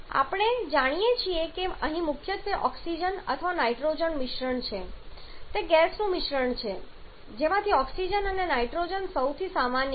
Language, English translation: Gujarati, Now we know that here is a combination primarily of oxygen or nitrogen it is a mixture of gaseous out of which oxygen and nitrogen are the most common one